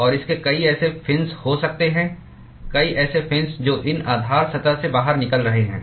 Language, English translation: Hindi, And it could have many such fins many such fins which are protruding out of these base surface